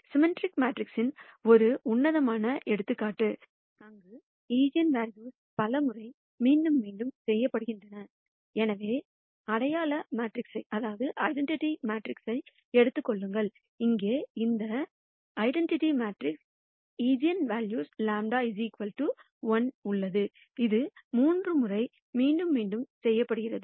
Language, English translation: Tamil, One classic example of a symmetric matrix, where eigenvalues are repeated many times, so take identity matrix, something like this here, this identity matrix has eigenvalue lambda equal to 1, which is repeated thrice